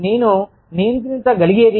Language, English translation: Telugu, What i can control